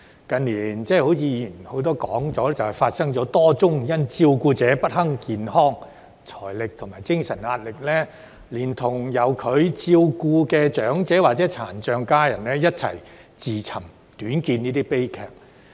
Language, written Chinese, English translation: Cantonese, 正如很多議員已提到，近年發生多宗因照顧者不堪健康、財政和精神壓力，連同由他們照顧的長者或殘障家人，一起自尋短見的悲劇。, As many Members have mentioned recently there have been a lot of tragedies in which the carers committed suicide with the elders or disabled family members they take care of because they could no longer withstand the health financial and mental pressure